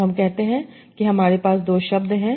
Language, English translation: Hindi, So, let us say I have a sentence